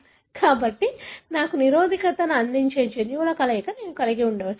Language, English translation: Telugu, So, I may have a combination of the genes that may give me resistance